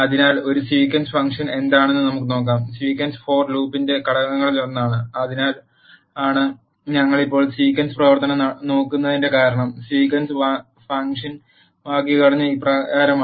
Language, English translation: Malayalam, So, let us see what is a sequence function, sequence is one of the components of the for loop that is the reason why we are looking at the sequence function now, sequence function syntax is as follows